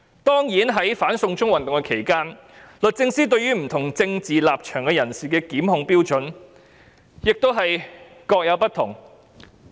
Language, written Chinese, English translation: Cantonese, 當然，在"反送中"運動期間，律政司對於不同政治立場的人士的檢控標準也各有不同。, Certainly in respect of the anti - extradition to China movement the Department of Justice has adopted different criteria in prosecuting people with different political views